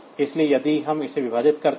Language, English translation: Hindi, So, if we divide it